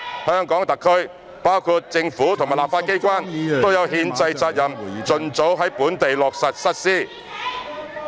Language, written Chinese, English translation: Cantonese, 香港特區，包括政府及立法機關，都有憲制責任盡早在本地落實實施。, HKSAR including the Government and the legislature has the constitutional duty to implement the National Anthem Law locally at the earliest possible time